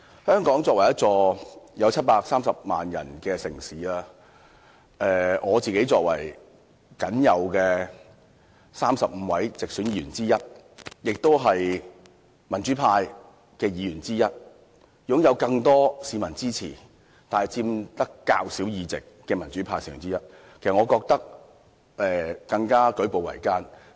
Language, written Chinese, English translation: Cantonese, 香港這城市人口達730萬人，而我作為僅有的35位直選議員之一，而且是民主派的議員之一，雖然是得到更多市民支持，但由於是佔較少議席的民主派成員，的確感到舉步維艱。, The population of Hong Kong is as large as 7 million . But there are only 35 directly elected Members in this Council . I am just one of this handful of directly elected Members and I am even from the democratic camp which is in the minority in this Council